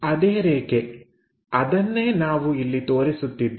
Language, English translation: Kannada, So, the same line, we are showing it here